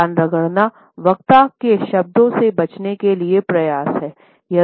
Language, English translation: Hindi, The ear rub is an attempt to avoid the words of the speaker